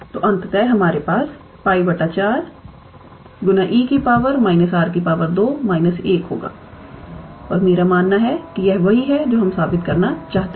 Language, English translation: Hindi, So, ultimately we will have pi by 4 times one minus e to the power minus r square and I believe this is what we needed to prove yes